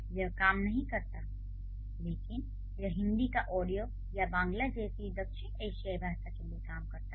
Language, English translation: Hindi, But that might work for a South Asian language like Hindi or Rodea or Bangla